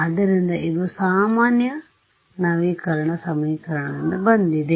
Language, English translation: Kannada, So, this is from usual update equations ok